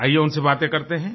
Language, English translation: Hindi, Let's talk to them